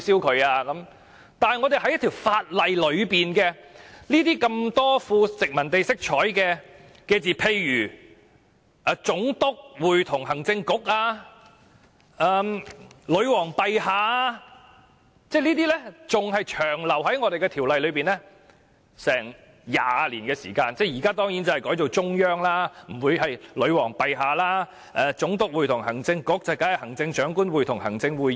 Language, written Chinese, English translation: Cantonese, 但是，我們在法例中，很多富殖民地色彩的用詞，例如"總督會同行政局"、"女皇陛下"，仍然長留在條例內20年，現在當然不會用"女皇陛下"，已改為"中央"；"總督會同行政局"，當然已改為"行政長官會同行政會議"。, Nevertheless many terms with traces of colonialism eg . the Governor in Council and Her Majesty remained in our legislation for as long as 20 years after the resumption of sovereignty . Certainly the term Her Majesty is no longer used; it has been replaced by the Central Peoples Government; and the term the Governor in Council has been replaced by the Chief Executive in Council